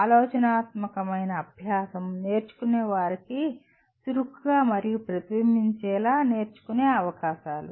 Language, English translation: Telugu, Thoughtful practice, opportunities for learners to engage actively and reflectively whatever is to be learned